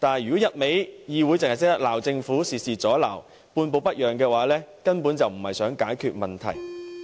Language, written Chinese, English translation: Cantonese, 如果議會只懂得指責政府，事事阻撓、半步不讓，根本就並非想要解決問題。, But if the Council insists on berating the Government and imposing all kinds of obstacles without budging an inch it has no intent to solve the problem